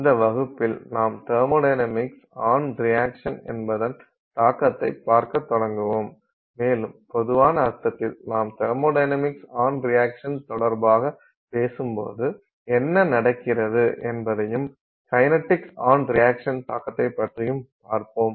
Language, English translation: Tamil, So, in this class we will look at, we will start by looking at the impact of thermodynamics on a reaction and in a more general sense what is happening when you talk of thermodynamics with respect to reaction